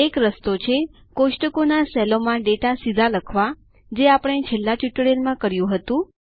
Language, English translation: Gujarati, One way is to directly type in data into the cells of the tables, which we did in the last tutorial